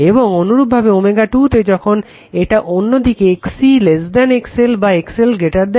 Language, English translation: Bengali, And similarly at omega 2 when is going to the other side XC less than XL or XL greater than XC